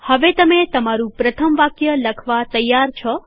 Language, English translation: Gujarati, You are now ready to type your first statement